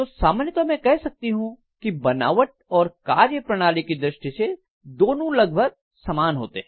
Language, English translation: Hindi, So I can in general say the construction wise and functionality wise both are almost similar